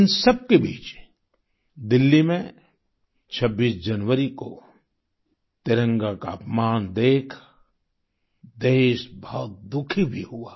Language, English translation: Hindi, Amidst all this, the country was saddened by the insult to the Tricolor on the 26th of January in Delhi